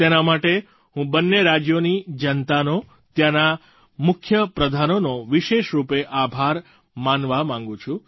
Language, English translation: Gujarati, I would like to especially express my gratitude to the people and the Chief Ministers of both the states for making this possible